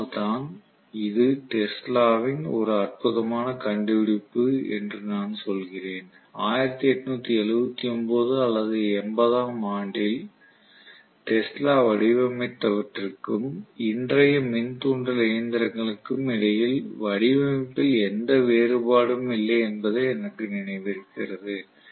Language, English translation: Tamil, So that is why I say that this is a fantastic discovery by Tesla and as far as I remember there is hardly any design difference between what Tesla designed in 1879 or 1880 and today’s induction machines, very very limited difference in the design